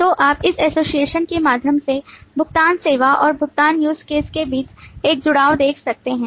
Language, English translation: Hindi, So you can see an association between the payment service and the payment use case